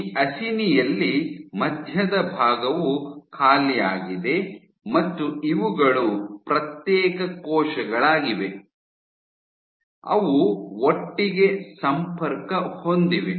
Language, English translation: Kannada, So, in this acini, the center portion this is empty and these are individual cells which are connected together